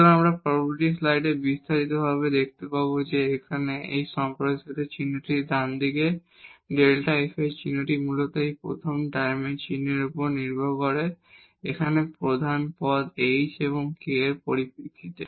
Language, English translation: Bengali, So, what we will also see in the detail in the next slide that the sign of this expansion here in the right hand side the sign of this delta f basically we will depend on the sign of this first term, these are the leading terms here in terms of h and k